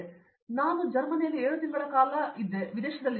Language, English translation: Kannada, So, I was abroad in Germany for 7 months